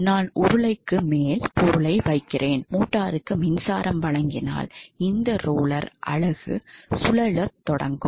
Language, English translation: Tamil, So, I am just putting the thing over the roller ok, now if we give power supply to the motor, this roller unit entirely will start to rotate ok